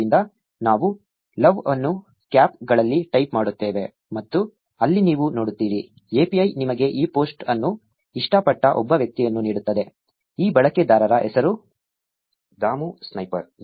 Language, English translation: Kannada, So, we type L O V E in caps and there you see; the API gives you the one person who loved this post, the name of this user is Dhamu Sniper